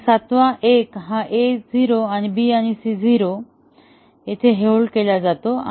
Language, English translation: Marathi, And the seventh one, A is 0, BC is held at 0 1